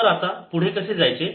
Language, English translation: Marathi, ok, so how to proceed